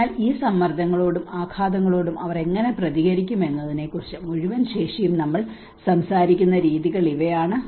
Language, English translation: Malayalam, So these are the ways how the whole capacity we will talk about how they are able to respond to these stresses and shocks